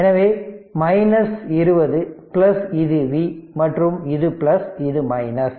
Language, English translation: Tamil, So, minus 20 plus this is V this is your plus this is plus minus